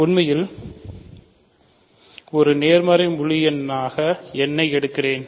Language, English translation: Tamil, So, n is a positive integer